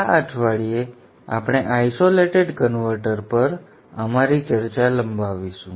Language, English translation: Gujarati, This week we shall extend our discussion on isolated converters